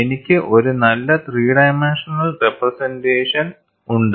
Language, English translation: Malayalam, I have a nice three dimensional representation